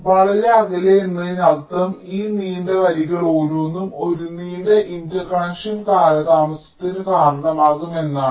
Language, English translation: Malayalam, lets say far apart means this: each of this long lines will contribute to a long interconnection delay